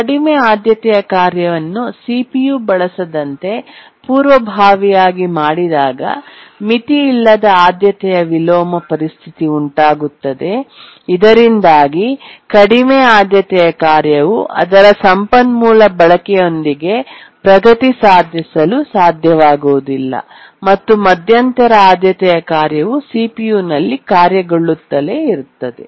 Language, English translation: Kannada, That's a simple priority inversion, but an unbounded priority inversion situation occurs where the low priority task has been preempted from using the CPU and therefore the low priority task is not able to make progress with its resource uses and the intermediate priority task keep on executing on the CPU